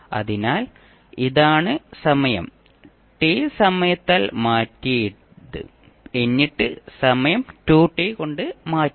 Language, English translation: Malayalam, So, this is time shifted by T then time shifted by 2T and so on